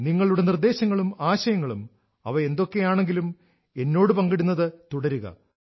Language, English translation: Malayalam, Whatever suggestions or ideas you may have now, do continue to keep sharing with me